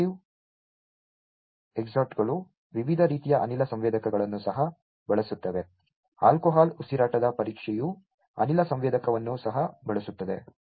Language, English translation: Kannada, Automotive exhausts also used lot of gas sensors different types, alcohol breath test also use gas sensor